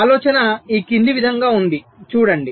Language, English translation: Telugu, see, the idea is as follows